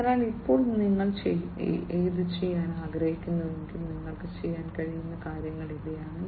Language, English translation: Malayalam, So, now if you want to do this, these are the things that you can do